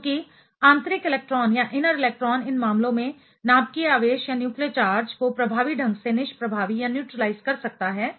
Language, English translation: Hindi, Since, the inner electron can neutralize the nuclear charge effectively in these cases